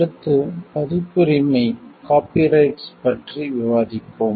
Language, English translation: Tamil, Next we will discuss about copyrights